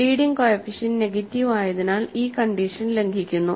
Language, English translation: Malayalam, The leading coefficient is negative, so that violates this condition